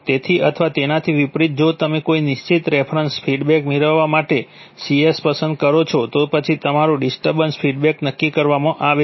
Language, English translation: Gujarati, So, or vice versa if you are choosing C to get a particular reference response then your, then your disturbance response is decided